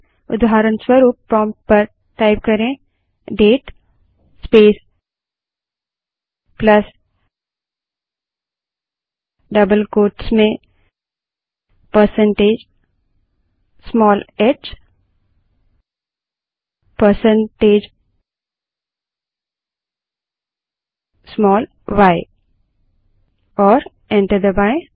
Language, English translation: Hindi, For example type at the prompt date space plus within double quotes percentage small h percentage small y and press enter